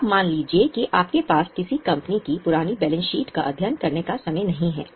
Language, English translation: Hindi, Now, suppose you have no time to study the balance sheet, the whole balance sheet of a company